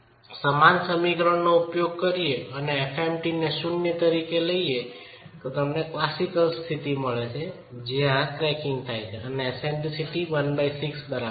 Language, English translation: Gujarati, Now if you use the same expression and take FMT to 0, then you get the classical condition where this cracking is occurring when eccentricity is equal to L by 6